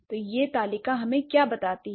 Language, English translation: Hindi, So, what does this table tell us